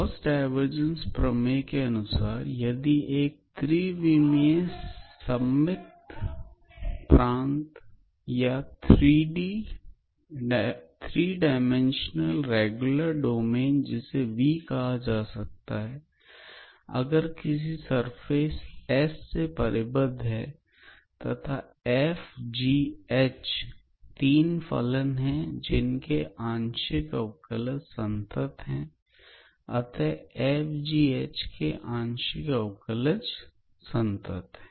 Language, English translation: Hindi, So, Gauss divergence theorem; so it says that if a 3 dimensional regular domain let us call it as V is bounded by a smooth orientated surface lets us say S and f g h are 3 functions with continuous partial derivatives